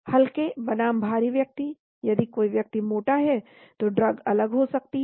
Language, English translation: Hindi, Light versus heavy subjects, if somebody is obese drug may be different